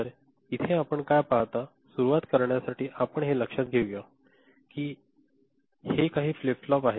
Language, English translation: Marathi, So, what you see over here, to begin with, let us consider that this is these are some flip flops